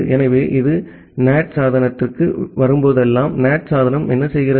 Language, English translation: Tamil, So, whenever it is coming to the NAT device, what the NAT device does